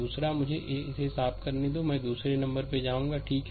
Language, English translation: Hindi, The second one, let me clean it, I will come second one that , right